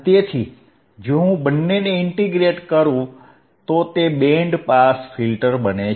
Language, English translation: Gujarati, So, if I integrate both, it becomes a band pass filter,